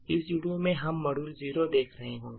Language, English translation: Hindi, In this video we will be looking at module 0, okay